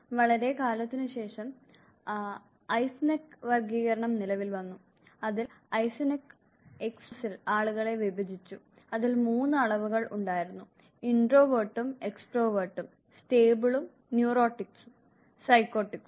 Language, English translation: Malayalam, Much later the classification of Eysenck came into being where in Eysenck divided people on x y axis, which had 3 dimensions, Introversion, Extroversion, Stables and Neurotics and the Psychotics